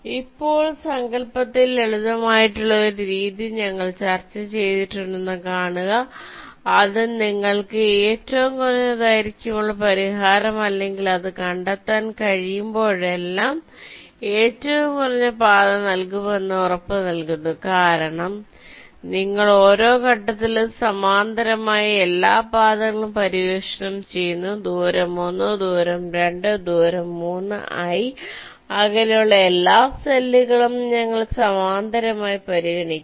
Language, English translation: Malayalam, now, see, we have ah discussed a method which is simple in concept and also it guarantees that it will give you the minimum length solution or the shortest path whenever it can find one, because you are exploring all paths parallely at each step, ah, distance of one, distance of two, distance of three, all the cells which are at a distance of i we are considering in parallel